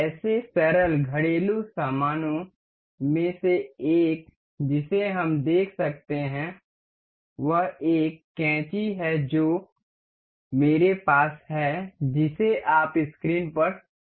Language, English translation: Hindi, One of such simple household item we can see is a scissor that I have that you can see on the screen is